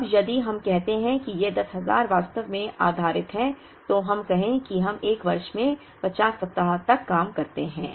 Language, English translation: Hindi, Now, if we say that this 10,000 is actually based out of, let us say we work for 50 weeks in a year